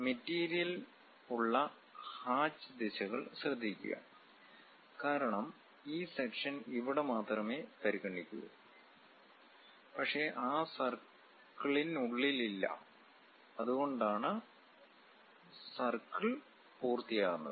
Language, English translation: Malayalam, Note the hatch directions where material is present; because section is considered only here, but not inside of that circle, that is a reason circle is complete